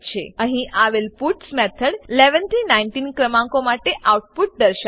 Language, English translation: Gujarati, The puts method here will display the output for numbers 11 to 19